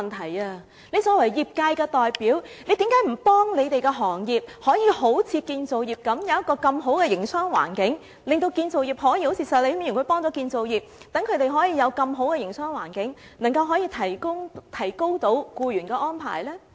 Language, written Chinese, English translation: Cantonese, 他作為業界代表，為何不幫助他們的行業好像建造業那樣，創造良好的營商環境，可以好像石禮謙議員幫助建造業那樣，讓他們有如此良好的營商環境，然後提高僱員的安排呢？, As a representative of his industry why does he not help his industry create a desirable business environment just as Mr Abraham SHEK helped the construction industry so that it can have an equally desirable business environment and the arrangements for its employees can then be enhanced?